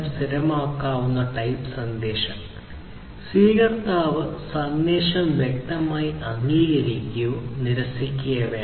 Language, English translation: Malayalam, For confirmable type message, the recipient must exactly explicitly either acknowledge or reject the message